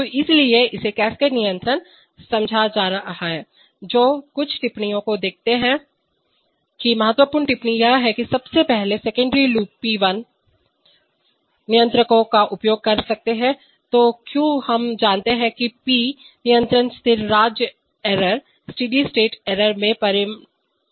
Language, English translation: Hindi, Then so this is having understood cascade control, which see some remarks that important remarks is that firstly secondary loops can use P controllers, why we know that P controllers can result in steady state errors